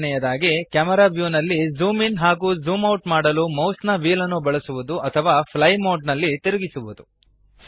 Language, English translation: Kannada, Second method is using the mouse wheel or scroll in fly mode to zoom in and out of the camera view